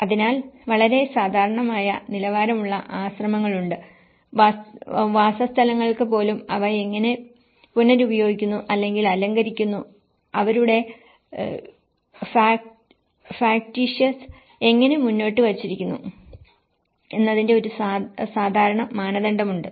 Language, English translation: Malayalam, So, there is the monasteries which have a very typical standard and even the dwellings have a typical standard of how they are reused or decorated, how their factious have been put forward